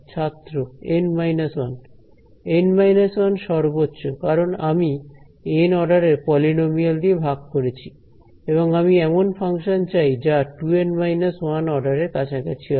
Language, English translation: Bengali, N minus 1 at most because I have divided by polynomial of order N and I want the function approximation to order 2 N minus 1